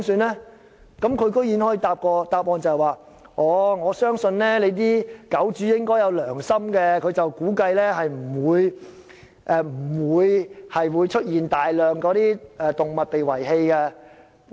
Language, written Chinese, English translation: Cantonese, 她居然可以答覆我，她相信狗主會有良心，因此估計不會出現大量動物被遺棄的情況。, But she nonetheless told me in reply that she believed dog owners had a conscience so she conjectured that there would not be any massive abandoning of animals